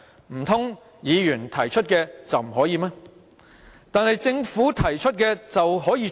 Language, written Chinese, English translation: Cantonese, 難道由議員提出就不可以隨便改動，但政府提出的便可以嗎？, Is it that changes proposed by Members cannot be made casually while changes requested by the Government are readily acceptable?